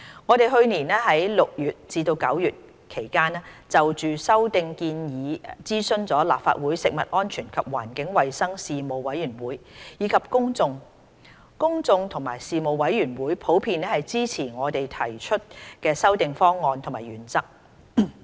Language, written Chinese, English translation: Cantonese, 我們去年6月至9月期間就修訂建議諮詢了立法會食物安全及環境衞生事務委員會及公眾，公眾及事務委員會普遍支持我們提出的修訂方案及原則。, Between June and September last year we consulted the Panel on Food Safety and Environmental Hygiene of the Legislative Council and the public on the amendment proposals . The public and the Panel generally support the amendment proposals and principles proposed by us